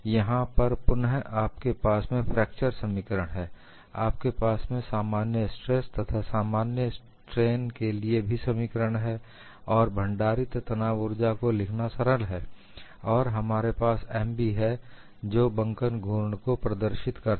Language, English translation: Hindi, Here again, you have the fracture formula, you have the expression for normal stress and normal strain, and it is easy to write the strain energy stored, and here we have M b which denotes the bending moment